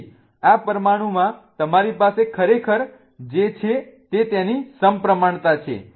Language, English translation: Gujarati, So, what you really have in this molecule is its plane of symmetry